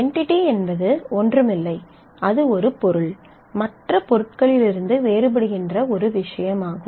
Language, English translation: Tamil, An entity is nothing, but it is an object is a thing that is distinguishable from other objects